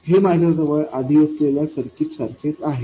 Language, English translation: Marathi, This is exactly the same as the circuit I had before